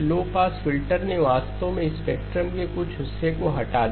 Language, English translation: Hindi, The low pass filter actually removed some portion of the spectrum